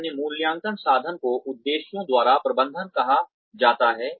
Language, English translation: Hindi, Another appraisal instrument is called management by objectives